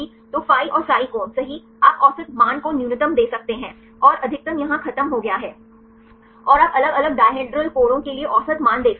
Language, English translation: Hindi, So, the phi and psi angles right you can give the average values the minimum and the maximum is over here and you can see the average value for the different dihedral angles